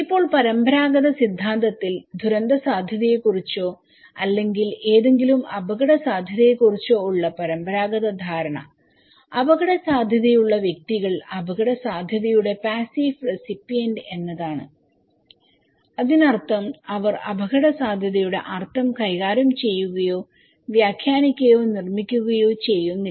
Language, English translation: Malayalam, Now, in the conventional theory, conventional understanding of disaster risk or any risk is that individuals who are at risk they are the passive recipient of risk that means, they do not manipulate, interpret, construct the meaning of risk